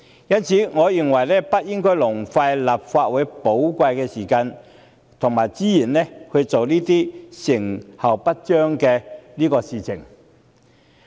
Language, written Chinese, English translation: Cantonese, 因此，我認為不應浪費立法會寶貴的時間及資源，做這些成效不彰的事情。, Hence I consider that the precious time and resources of the Legislative Council should not be wasted on an initiative that will yield no result